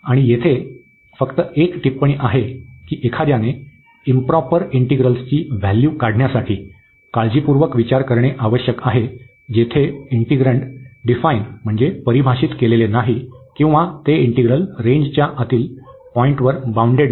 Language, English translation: Marathi, And just a remark here that one needs to be careful to evaluate the improper integrals where the integrand is not defined or it is not bounded at an interior point of the range of the integral